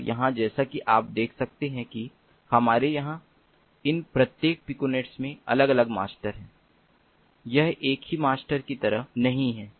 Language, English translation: Hindi, and here, as you can see over here, we have distinct masters in each of these piconets